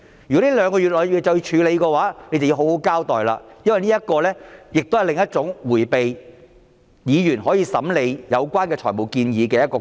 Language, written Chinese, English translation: Cantonese, 如果這兩個月內便須處理，政府便要好好交代，因為這是另一種迴避議員審理有關財務建議的方法。, If they must be dealt with within these two months the Government needs to give us a proper explanation for this is another way to escape Members scrutiny of the funding proposals concerned